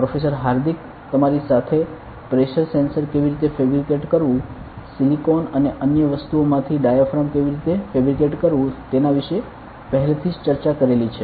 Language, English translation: Gujarati, Professor Hardik must have already discussed with you regarding how a pressure sensor is fabricated, how a diaphragm is fabricated out of silicon and other things